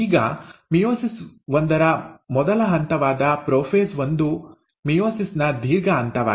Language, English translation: Kannada, Now the first step of meiosis one which is prophase one is the longest phase of meiosis